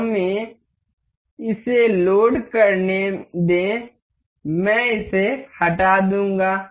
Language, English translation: Hindi, Let us just load it, I will delete this one